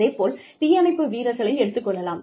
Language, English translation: Tamil, Similarly, firefighters, for example